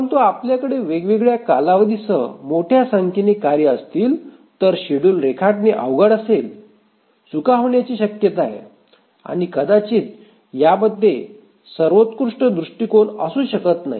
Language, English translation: Marathi, But if we have a large number of tasks with different periods, drawing the schedule is cumbersome, prone to errors and this may not be the best approach